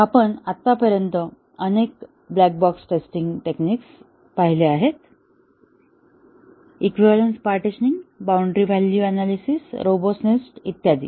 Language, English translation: Marathi, And we had seen several black box test techniques – equivalence, partitioning, boundary value, robustness testing and so on